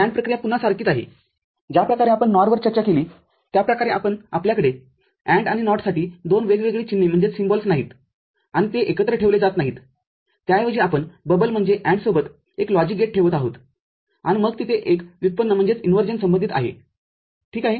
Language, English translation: Marathi, So, NAND operation a similar again the way we had discussed NOR we are not having a 2 different you know symbols that is AND and NOT a not put together rather, we are putting one single logic gate with bubble means AND then there is an inversion associated, ok